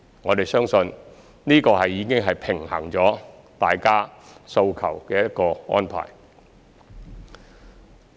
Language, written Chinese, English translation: Cantonese, 我們相信這已是平衡了大家訴求的一個安排。, We believe this arrangement has struck a balance among the peoples aspirations